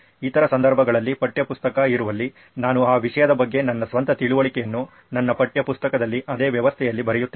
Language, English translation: Kannada, In the other cases, where textbook is there I write my own understanding of that topic in my textbook in the same system